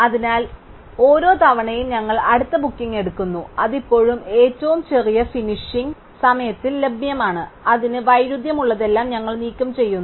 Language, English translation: Malayalam, So, each time we pick up the next booking which is still available with the smallest finishing time and we remove everything which is in conflict to it